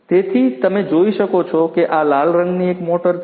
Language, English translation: Gujarati, So, as you can see this red colored one is a motor